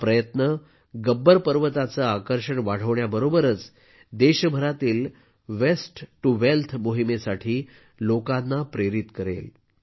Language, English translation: Marathi, This endeavour, along with enhancing the attraction value of Gabbar Parvat, will also inspire people for the 'Waste to Wealth' campaign across the country